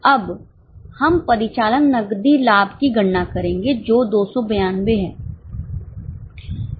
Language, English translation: Hindi, Now we will calculate operating cash profit which is 292